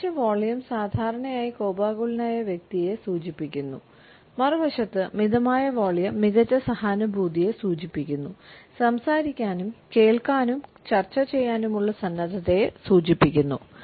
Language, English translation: Malayalam, An increased volume normally indicates an angry person, on the other hand a level and measured volume of the voice suggest a better empathy the willingness to talk to listen and to negotiate